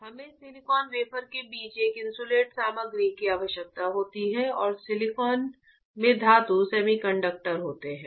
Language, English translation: Hindi, We require an insulating material between the silicon wafer and metals in silicon is a semiconductor